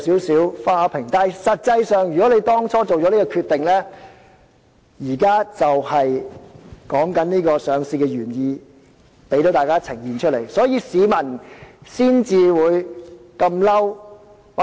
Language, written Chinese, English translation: Cantonese, 實際上，政府當初作出這個決定時，上市原意已定，只是現在才呈現在市民眼前，市民才感到憤怒。, In fact when the Government made this decision back then the purpose of listing was set yet it is only revealed to the public now and makes them angry